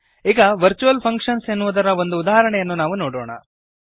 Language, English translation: Kannada, Now let us see an example on virtual functions